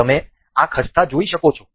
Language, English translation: Gujarati, You can see this